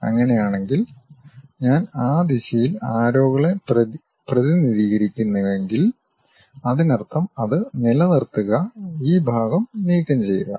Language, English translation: Malayalam, If that is the case, if I represent arrows in that direction; that means, retain that, remove this part